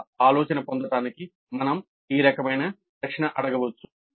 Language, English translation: Telugu, To get that idea we can ask this kind of a question